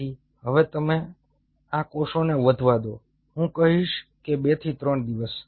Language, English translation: Gujarati, ok, so now you allow these cells to grow for, i would say, two to three days